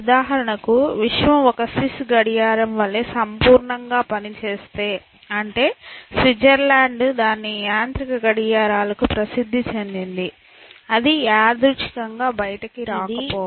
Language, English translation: Telugu, If the universe functions so perfectly like a Swiss watch for example, Switzerland is known for its mechanical watches then, it could not have come out of random